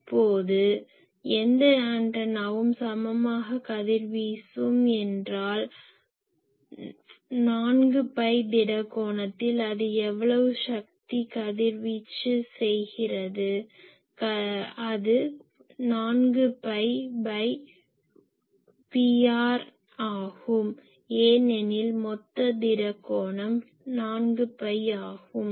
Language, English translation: Tamil, Now , any antenna which equally radiates means equally in 4 phi angle solid angle how much power it radiates , that is simply P r by 4 phi because total solid angle is 4 phi